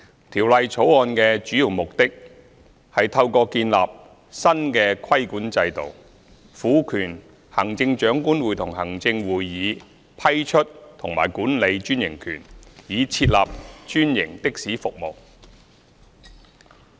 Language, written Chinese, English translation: Cantonese, 《條例草案》的主要目的，是透過建立新的規管制度，賦權行政長官會同行政會議批出和管理專營權，以設立專營的士服務。, The main purpose of the Bill is to introduce franchised taxi services through establishing a new regulatory system to confer on the Chief Executive in Council the powers to grant and administer such franchises